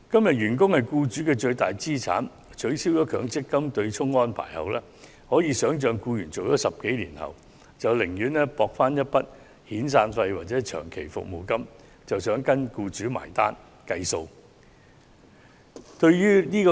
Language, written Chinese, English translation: Cantonese, 員工是僱主的最大資產，但在取消強積金對沖安排後，可以想象僱員在工作10多年後，會寧願博取一筆遣散費或長期服務金，而跟僱主結帳離職。, Employees are employers greatest assets but with the abolition of the offsetting arrangement under the MPF System one can imagine that an employee employed by the same employer for more than 10 years will prefer to part with the employer so as to receive severance payment or long service payment